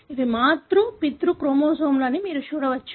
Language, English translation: Telugu, You can see that these are paternal, maternal chromosomes